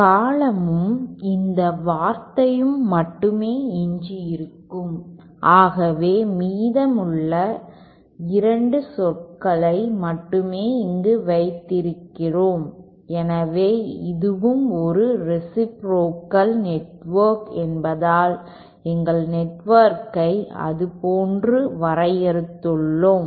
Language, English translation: Tamil, And only this term and this term will be remaining, so that is what we have kept here only the remaining 2 terms, so since this is also a reciprocal network we have defined our network like that